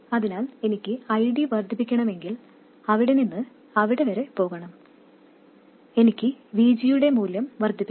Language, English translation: Malayalam, So, if I have to increase ID, I have to go from there to there, I have to increase the value of VG